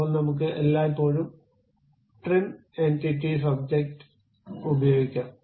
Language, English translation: Malayalam, Then I can always use trim entities object